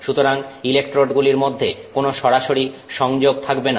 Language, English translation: Bengali, The electrodes should not come in direct contact with each other